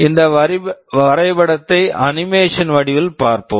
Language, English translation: Tamil, Let us look at this diagram in an animated form